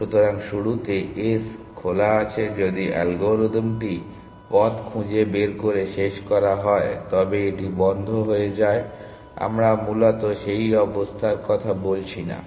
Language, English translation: Bengali, So, at the beginning s is in the open if the algorithm is terminated by finding the path then it is terminated we are not talking of that condition essentially